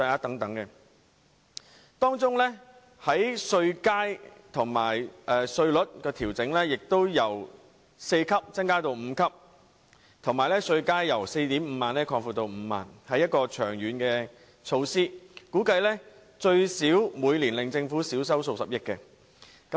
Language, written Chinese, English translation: Cantonese, 此外，政府建議把薪俸稅稅階由4個增加至5個，並把稅階由 45,000 元擴闊至 50,000 元，這是一項長遠措施，估計最少會令政府稅收每年減少數十億元。, In addition the Government has proposed to increase the number of tax bands for salaries tax from four to five and widen the tax bands from 45,000 to 50,000 each . This is a long - term measure which will presumably reduce the Governments tax revenue by at least a few billion dollars a year